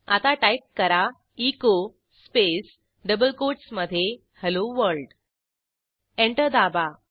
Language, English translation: Marathi, Press Enter and type echo space within double quotes Hello world press Enter